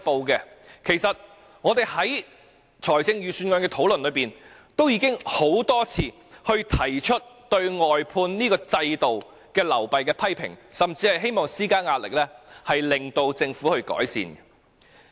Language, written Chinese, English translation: Cantonese, 事實上，我們在預算案討論中已多次提出對外判制度流弊的批評，甚至希望施加壓力，令政府有所改善。, As a matter of act we have repeatedly voiced our criticisms of the shortcomings of the outsourcing system in the discussion about the Budget even hoping to exert pressure on the Government to make improvements